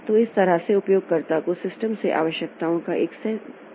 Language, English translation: Hindi, So, that way the user has got a certain set of requirements from the system